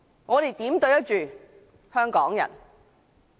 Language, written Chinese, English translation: Cantonese, 我們如何對得起香港人？, How can we be accountable to Hong Kong people?